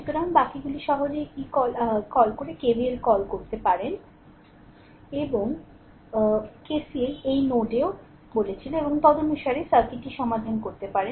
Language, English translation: Bengali, So, rest you can easily apply your what you call k your what you call that your KVL, and KCL also at this node I told you and accordingly you can solve the circuit